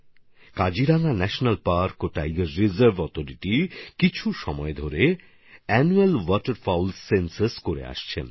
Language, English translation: Bengali, The Kaziranga National Park & Tiger Reserve Authority has been carrying out its Annual Waterfowls Census for some time